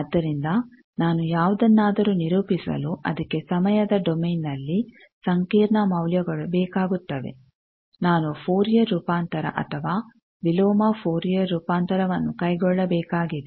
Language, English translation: Kannada, So, that requires complex values in time domain if I want to characterize anything, I need to carry out a Fourier transform or inverse Fourier transform